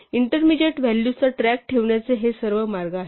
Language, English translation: Marathi, So, these are all ways of keeping track of intermediate values